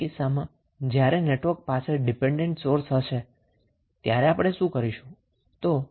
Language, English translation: Gujarati, Second case would be the case when network has dependent sources